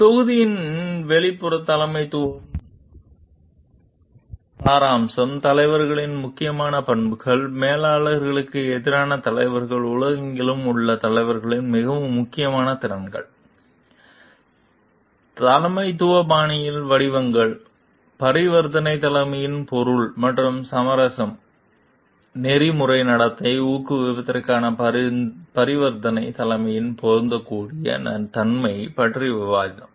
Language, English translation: Tamil, So, the outline of the module will be introduction to an essence of leadership, important characteristics of leaders, leaders versus managers, most important competencies of leaders around the world, forms of leadership styles, meaning and essence of transactional leadership, discussing the suitability of transactional leadership for promoting ethical conduct